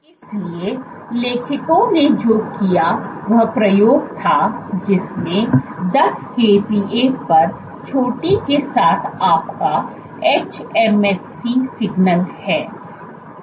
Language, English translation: Hindi, So, what the authors did was they did experiments in which so this is your hMSC signal with a peak at 10 kPa